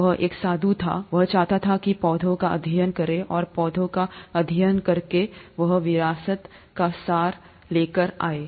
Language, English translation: Hindi, He was a monk, he wanted to study plants, and by studying plants, he came up with the essence of inheritance